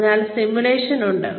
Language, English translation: Malayalam, So, there is simulation